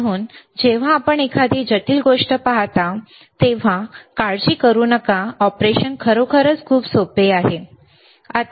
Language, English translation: Marathi, So, do not worry when you look at something which is complex the operation is really simple, all right